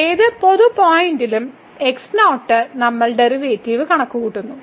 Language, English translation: Malayalam, So, at any general point we are computing the derivative